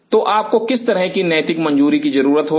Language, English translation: Hindi, So, what sort of ethical clearances you will be needing